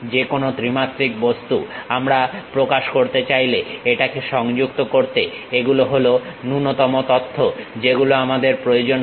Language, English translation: Bengali, Any three dimensional object, we would like to represent; these are the minimum information we require it to connect it